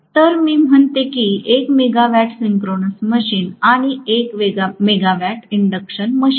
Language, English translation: Marathi, So, I say that 1 megawatt synchronous machine and 1 megawatt induction machine